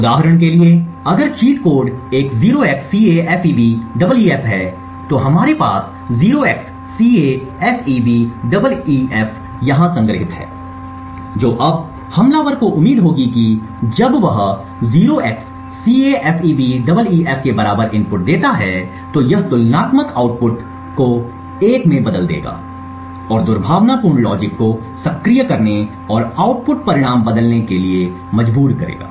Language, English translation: Hindi, For example if the cheat code is a 0xCAFEBEEF we have 0xCAFEBEEF stored over here now what the attacker would expect is that when he gives an input equal to 0xCAFEBEEF it would change the comparators output to 1 and forcing the malicious logic to be activated and change the output results